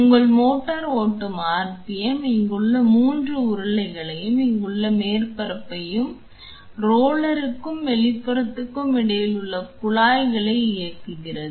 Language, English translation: Tamil, The RPM in which your motor is driving it drives the 3 rollers here and the surface here the tubing which is here in between the roller and the outer casing if you observe is compressed